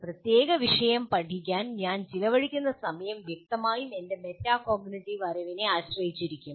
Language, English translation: Malayalam, So the amount of time I spend on in learning a particular topic will obviously depend on my metacognitive knowledge